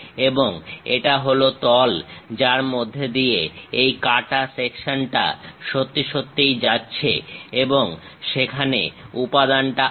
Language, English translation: Bengali, And this is the plane through which this cut section is really passing through and material is present there